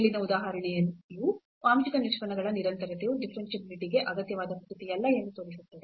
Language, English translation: Kannada, Remember that the continuity of partial derivatives is sufficient for differentiability